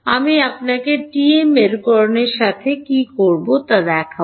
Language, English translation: Bengali, I will show you what will do with TM polarization